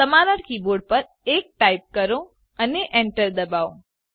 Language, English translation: Gujarati, Type 1 on your keyboard and press enter